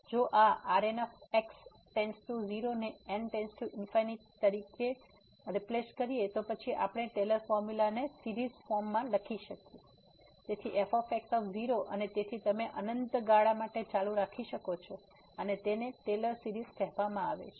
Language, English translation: Gujarati, If this reminder goes to 0 as goes to infinity then we can write down that Taylor’s formula in the form of the series so and so on you can continue for infinite term and this is called the Taylor series